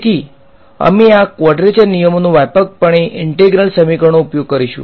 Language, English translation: Gujarati, So, we will use these quadrature rules extensively in integral equation approaches